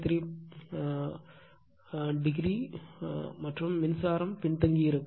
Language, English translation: Tamil, 13 degree and current is lagging